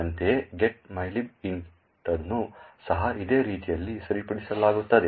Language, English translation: Kannada, Similarly, the getmylib int would also be fixed in a very similar manner